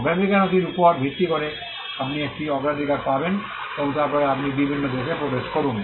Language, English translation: Bengali, Based on the priority document, you get a priority and then you enter different countries